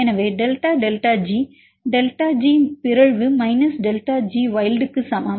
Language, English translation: Tamil, So, delta delta G you can get this is equal to delta G mutants minus delta G wild